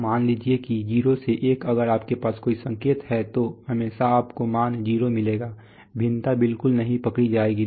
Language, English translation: Hindi, So suppose 0 to 1 if you have a signal then always you will get the value 0, it will, the variation will not be caught at all